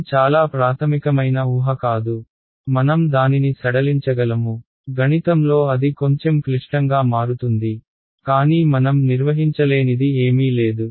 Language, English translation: Telugu, this is not a very fundamental assumption I can relax it, the math becomes a little bit more complicated, but nothing that we cannot handle ok